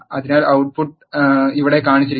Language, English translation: Malayalam, So, the output is shown here